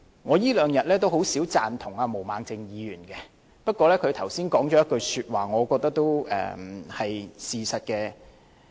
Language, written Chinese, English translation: Cantonese, 我這兩天也很少贊同毛孟靜議員，不過她剛才說了一句話，我覺得都是事實。, During this meeting in these two days I seldom agree with the arguments of Ms Claudia MO but I think the comment that she made just now has reflected the truth